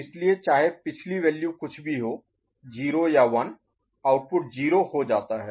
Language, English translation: Hindi, So, in either case irrespective of the past value was 0 or 1, the output becomes 0